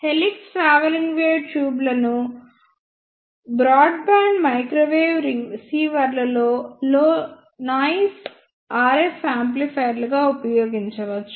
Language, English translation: Telugu, The helix travelling wave tubes can be used an broad band microwave receivers as a low noise RF amplifiers